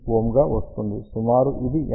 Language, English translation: Telugu, 9 ohm, which is close to 50 ohm